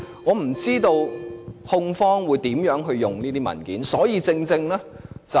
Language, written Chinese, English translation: Cantonese, 我不知道控方會如何運用這些文件。, I have no idea how the prosecuting party will use these documents